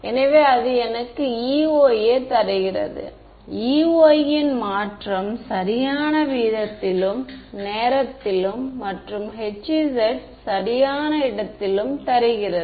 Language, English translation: Tamil, So, that is giving me E y correct rate of change of E y in time and H z in space right